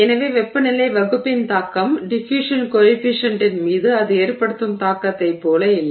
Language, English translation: Tamil, So therefore the impact of the temperature of the denominator is not as much as the impact it has on the diffusion coefficient itself